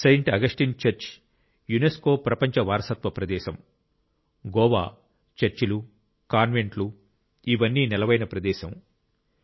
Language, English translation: Telugu, Saint Augustine Church is a UNESCO's World Heritage Site a part of the Churches and Convents of Goa